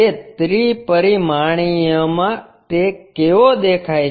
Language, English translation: Gujarati, How it looks like in three dimensional